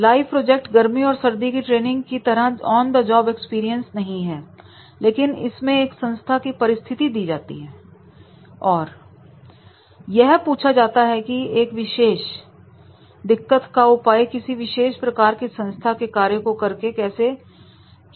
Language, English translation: Hindi, So live projects is not the only the it is not the exactly the on the job experience like the summer training or winter training but it is giving a situation of the organization and they can make this solve that particular problem or they can work for the organization while doing a particular task